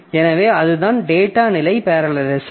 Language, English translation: Tamil, So, that is the data level parallelism